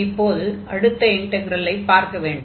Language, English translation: Tamil, Now, we will look at the second integral